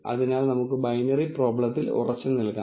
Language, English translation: Malayalam, So, let us anyway stick to binary problem